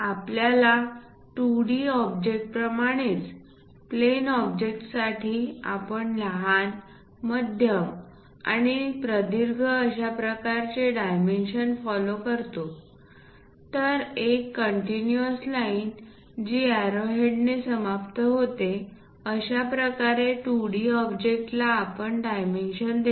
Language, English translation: Marathi, Similar to our 2D objects, plane objects how we have followed smallest, medium and longest dimensions we show it in that way, always a continuous line followed by this arrow heads terminating